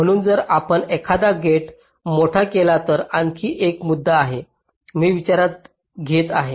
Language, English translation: Marathi, so if you make a gate larger is another point which is also coming into the picture